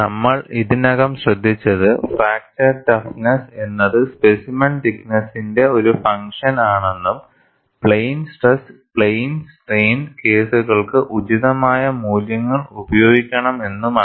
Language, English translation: Malayalam, And we have already noted that, fracture toughness is a function of specimen thickness and one should use appropriate values for plane stress and plane strain cases